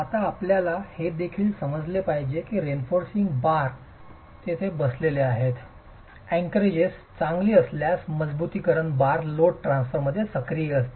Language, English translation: Marathi, Now you should also understand that the reinforcement bars are sitting there, the reinforcement bars are going to be active in load transfer if the anchorages are good